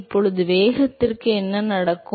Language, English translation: Tamil, Now what happens to the velocity